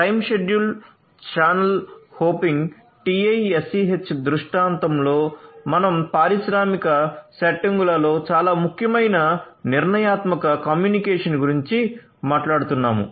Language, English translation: Telugu, So, in a time schedule channel hopping TiSCH scenario we are talking about deterministic communication which is very important in industrial settings